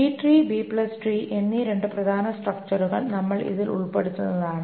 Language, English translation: Malayalam, And we will cover two important structures in this, the B tree and the B plus tree